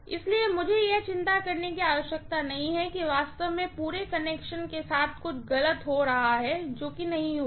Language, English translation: Hindi, So, I do not have to worry that something is really going wrong with the entire connection that will not happen